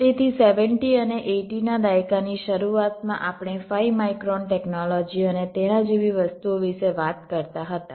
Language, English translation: Gujarati, ok, so in the beginning, in the seventies and eighties, we used to talk about five micron technology and things like that